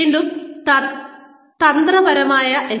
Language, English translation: Malayalam, Strategic HRM again